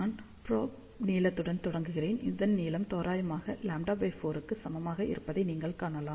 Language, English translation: Tamil, So, I will start with the probe length, you can see that this length is approximately equal to lambda by 4